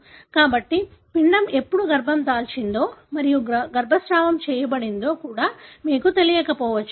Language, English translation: Telugu, So, you may not even know when the embryo is conceived and is aborted